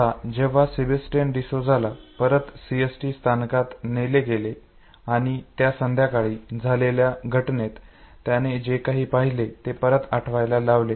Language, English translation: Marathi, Now when Sebastian Desuza was taken back to CST station and was asked to recollect the episode that took place that evening this is what he had to say